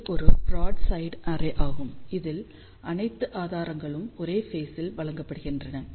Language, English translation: Tamil, So, this is a broadside array in which all the sources are fed in the same phase